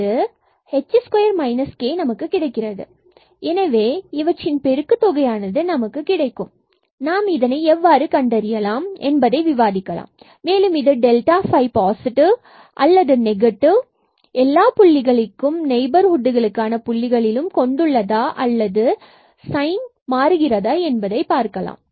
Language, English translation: Tamil, So, we have the product of h square minus k into 2 h square minus k and now we will discuss how to identify the sign of this delta phi whether we have a definite sign either positive or negative at all the points in the neighborhood of this point or the sign changes